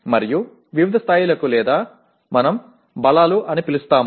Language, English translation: Telugu, And to varying levels or what we call strengths